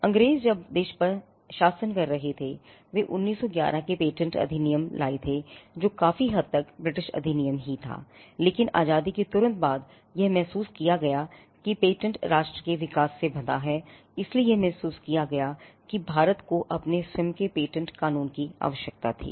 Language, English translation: Hindi, The Britishers when they were ruling the country, they had brought in the patents act of 1911 which was largely the British act itself, but soon after independence, it was felt that because patents are tied closely to the development of a nation, it was felt that India required its own patent law